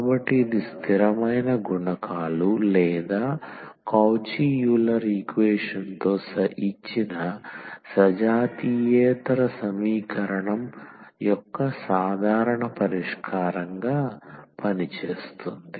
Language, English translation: Telugu, So, this serves as a general solution of the given non homogeneous equation with non constant coefficients or the Cauchy Euler equation